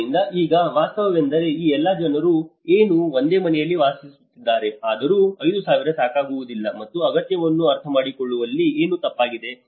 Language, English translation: Kannada, So, now the reality is all these people are still living in the same house despite that 5000 was not sufficient, and this is where something goes wrong in understanding the need